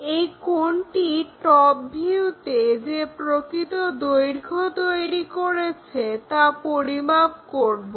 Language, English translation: Bengali, Similarly, true length what is the angle it is making on this top view also